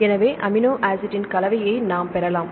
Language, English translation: Tamil, So, we can get the combination of amino acid